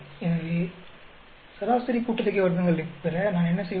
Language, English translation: Tamil, So, mean sum of squares, what I do